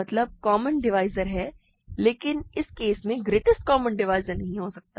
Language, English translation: Hindi, There are common divisors, but there cannot be a greatest common divisor in this sense